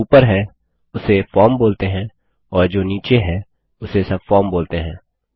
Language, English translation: Hindi, The one above is called the form and the one below is called the subform